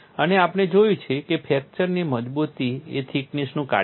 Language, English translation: Gujarati, And we have seen fracture toughness is a function of thickness